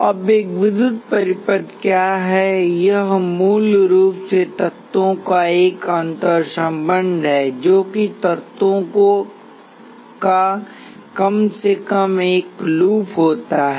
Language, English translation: Hindi, Now, what is an electrical circuit, it is basically an interconnection of elements such that there is at least one loop of elements